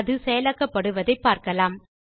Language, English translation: Tamil, So let us see how it is implemented